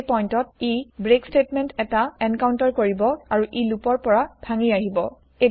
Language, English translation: Assamese, At this point, it will encounter the break statement and break out of the loop